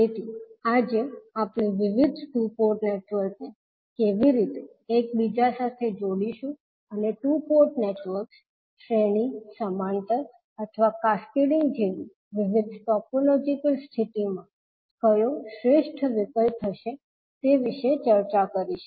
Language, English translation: Gujarati, So today we will discuss about how we will interconnect various two port networks and what would be the best options in a different topological condition such as series, parallel or cascading of the two port networks